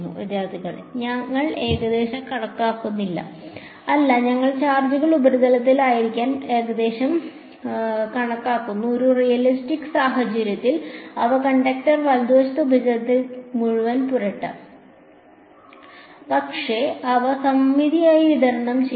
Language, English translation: Malayalam, No, we are approximating the charges to be a on the surface, in a realistic situation they will be smeared all over the surface of the conductor right, but they will be symmetrically distributed